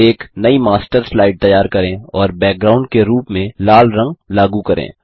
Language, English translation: Hindi, Create a new Master Slide and apply the color red as the background